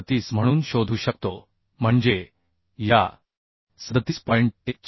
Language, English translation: Marathi, 147 so this is becoming 0